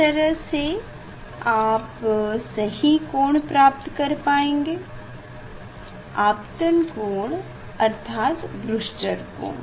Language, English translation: Hindi, that way you will find out the correct angle, incident angle that is Brewster s angle